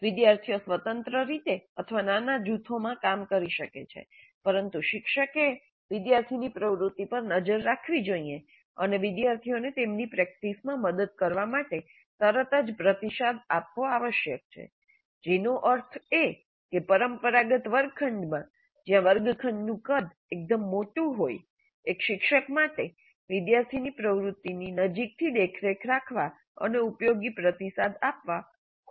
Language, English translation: Gujarati, Students could work either independently or in small groups, but teacher must monitor the student activity and provide feedback immediately to help the students in their practice, which means that in a traditional classroom setting where the classroom size is fairly large, it's not unusual to have a class of 60, 70 students, for one instructor to closely monitor the student activity and provide useful feedback may be very difficult